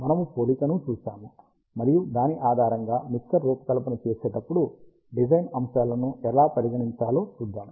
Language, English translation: Telugu, We will see the comparison, and based on that, we will see how the design aspects have to be consider while designing a mixer